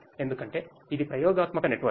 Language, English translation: Telugu, Is because this is an experimental network